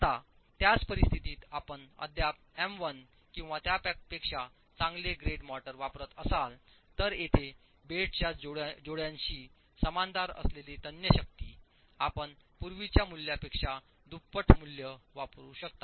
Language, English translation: Marathi, Now in the same situation, if you are still using M1 or better grade motors, then the tensile strength parallel to the bed joint here you can use a value twice the earlier value